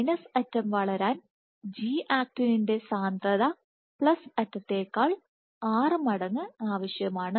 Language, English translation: Malayalam, Required for minus end to grow is 6 times that at the plus end